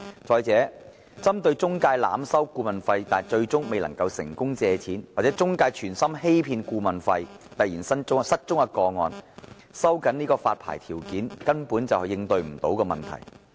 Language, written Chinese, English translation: Cantonese, 再者，對於中介濫收顧問費但最終申請人未能成功借貸，或中介存心欺騙顧問費而突然失蹤的個案，收緊發牌條件根本無法應對問題。, Furthermore tightening the licensing conditions can hardly tackle cases in which the intermediary overcharged the consultation fee but the applicant did not succeed in getting a loan in the end or the intermediary who deliberately defrauded the applicant of the consultation fee suddenly went missing